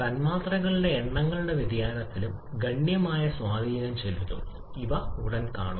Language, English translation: Malayalam, And the variation in the number of molecules that can also have significant effect and we shall be seeing shortly